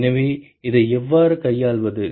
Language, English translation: Tamil, So, how do we handle this